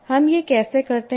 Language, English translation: Hindi, How do we do it